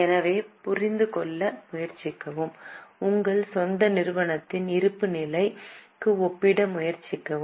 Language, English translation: Tamil, So, try to understand, try to compare with balance sheet of your own company